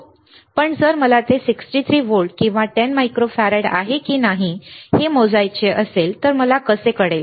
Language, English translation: Marathi, But if I want to measure it whether it is 63 volts or 10 microfarad or not, how would I know